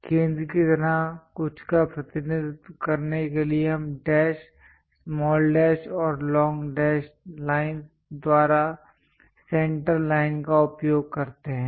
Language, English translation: Hindi, To represents something like a center we use center line by dash, small dash and long dash lines